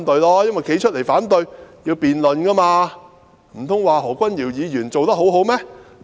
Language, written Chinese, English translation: Cantonese, 站出來反對便要辯論，到時候，難道他們說何君堯議員做得很好嗎？, If they had come forward to raise objection they would have needed to engage in a debate . Then were they going to say Dr Junius HO had done a very good job?